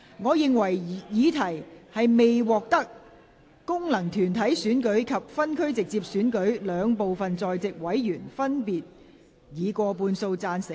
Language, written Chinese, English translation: Cantonese, 我認為議題未獲得經由功能團體選舉產生及分區直接選舉產生的兩部分在席委員，分別以過半數贊成。, I think the question is not agreed by a majority respectively of each of the two groups of Members that is those returned by functional constituencies and those returned by geographical constituencies through direct elections who are present